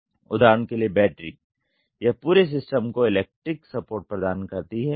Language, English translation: Hindi, For example, battery it does give electrical support to whole system